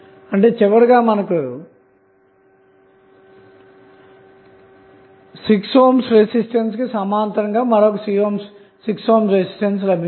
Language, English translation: Telugu, You get eventually the 6 ohm in parallel with another 6 ohm resistance